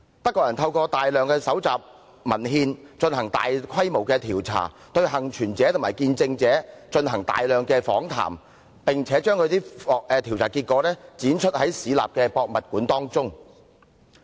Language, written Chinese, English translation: Cantonese, 德國人透過大量蒐集文獻，進行大規模調查，對幸存者和見證者進行大量訪談，並且把調查結果於市立博物館展出。, The Germans had compiled a large number of documents conducted extensive surveys interviewed many survivors and witnesses and presented the results of the studies in their municipal museum